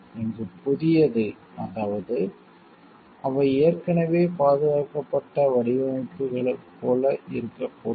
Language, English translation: Tamil, New here, means they should not be similar to designs which have already been protected